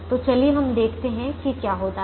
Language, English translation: Hindi, so let us see what happens now